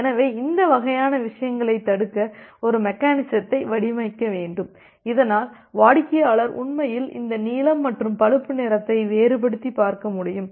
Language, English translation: Tamil, So we need to design mechanism to prevent this kind of things so that the client actually be able to differentiate between this blue and brown